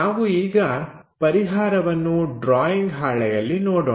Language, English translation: Kannada, So, let us look at the solution on our drawing sheet